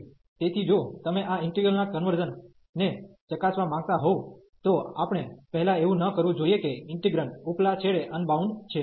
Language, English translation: Gujarati, So, if you want to test the convergence of this integral, then we should not first that the integrand is unbounded at the upper end